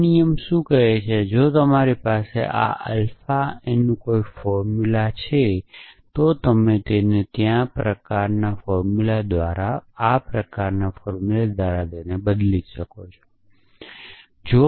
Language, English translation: Gujarati, What this rule says that, if you have a formula of this fine alpha a, you can replace it by a formula of the kind there exist x, x